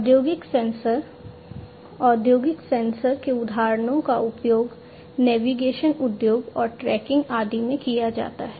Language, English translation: Hindi, So, examples of industrial sensors, industrial sensors can be used in the navigation industry, for tracking and so on